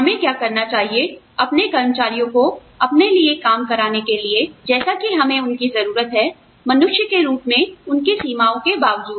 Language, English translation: Hindi, What should we do, in order to, get our employees, to work for us, the way we need them, to work, despite their limitations, as human beings